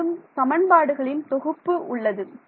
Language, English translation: Tamil, So, I got a system of equations right